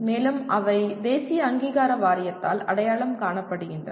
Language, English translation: Tamil, And they are identified by the National Board of Accreditation